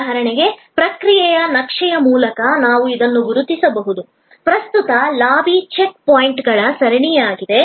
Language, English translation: Kannada, For example, through process map we could identify that this, the current lobby is a series of check points